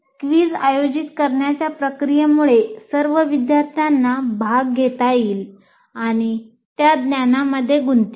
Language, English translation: Marathi, And the very process of conducting a quiz will make all the students kind of participate and get engaged with the knowledge